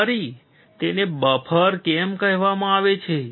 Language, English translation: Gujarati, Also, why it is called buffer